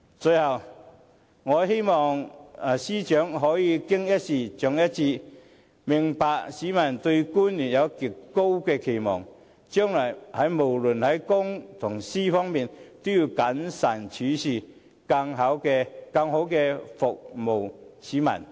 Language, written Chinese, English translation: Cantonese, 最後，我由衷希望司長可以"經一事，長一智"，明白市民對官員有極高期望，將來無論在公在私，都要更謹慎處事，更好地服務市民。, Finally I sincerely hope that the Secretary for Justice will learn from her mistakes understand the high expectations placed on officials by the public and act in a more prudent manner regarding public or private affairs in the future so as to better serve the community